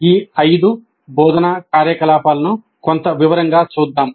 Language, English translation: Telugu, Now let us look at these five instructional activities in some detail